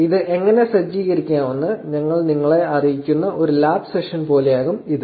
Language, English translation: Malayalam, This will be more like a lab session where we walk you through on how to set this up